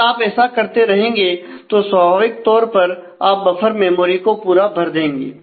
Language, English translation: Hindi, Now as you keep on doing that, naturally soon you will run out of the buffer memory